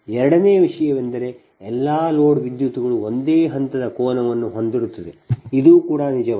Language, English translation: Kannada, second thing is: all the load currents have the same phase angle